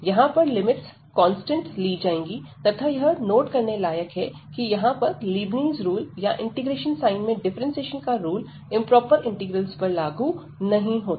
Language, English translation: Hindi, So, the limits will be treated as a constant here though one should note that in general this Leibnitz rule or the differentiation under integral sign, which the rule we have proved that is not valid for improper integrals